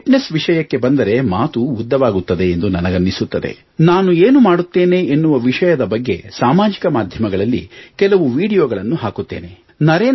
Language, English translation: Kannada, As regards fitness, I think that will be quite a lengthy topic, so what I'll do is, I'll upload some videos on this topic on the social media